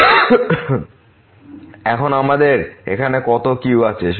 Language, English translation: Bengali, So, now how many ’s we have here